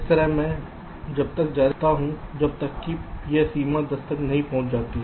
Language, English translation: Hindi, in this way i continue till this limit of ten is reached